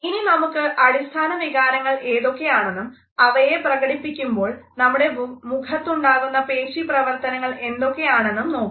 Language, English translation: Malayalam, Let’s look at what are these basic emotions and what type of muscular activity takes place when our face expresses them